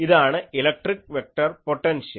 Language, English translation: Malayalam, So, this is the electric vector potential